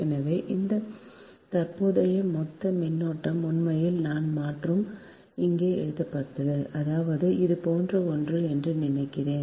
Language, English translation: Tamil, so this current, total current, actually, ah, i, and here it is written, i means it is something like this, right, there should not be